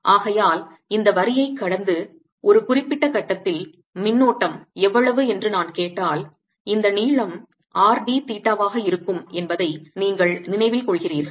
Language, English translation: Tamil, therefore, if i were to ask how much is the current at a certain point passing through this line, then you recall that this length is going to be r d theta